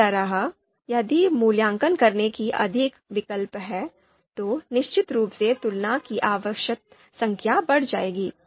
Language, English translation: Hindi, Similarly if there are more alternatives to be you know evaluated, then of course the required number of comparisons will go up